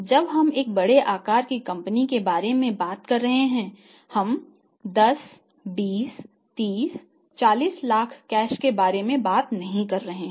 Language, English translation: Hindi, So, in the firm because when you are talking about a large sized a company there we are not talking about that 10, 20, 30, 40 lakh cash